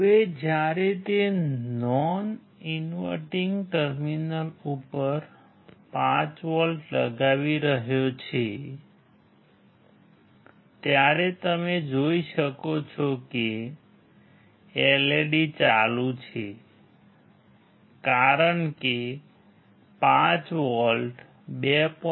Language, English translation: Gujarati, Now when he is applying 5 volts at non inverting terminal you could see that LED is on because 5 volts is greater than 2